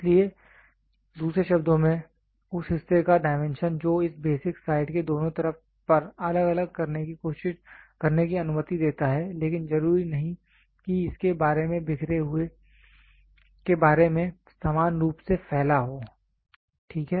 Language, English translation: Hindi, So, in other words the dimension of the part it allowed to vary on both sides of the basic side, but may not be necessarily equally dispersed about dispersed about that for, ok